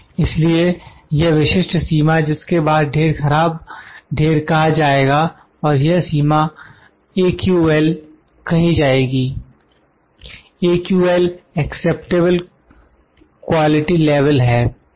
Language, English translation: Hindi, So, this specific limit beyond which the lot is termed as bad lot is called as AQL, AQL which is Acceptable Quality Level